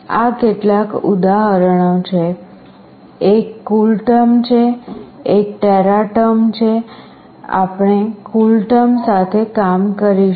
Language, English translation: Gujarati, These are some example, one is CoolTerm, one is TeraTerm, we will be working with CoolTerm